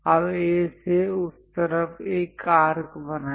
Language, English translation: Hindi, Now draw an arc on that side from A